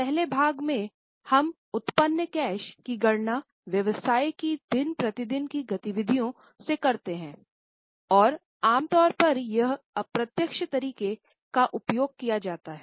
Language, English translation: Hindi, In the first part we calculate the cash generated from day to day activities of the business and normally it is done using indirect method